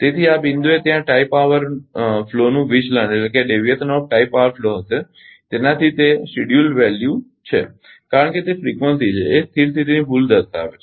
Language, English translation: Gujarati, So, at this point there will be deviation of tie power flow from it is scheduled value because it is frequency is showing the steady state error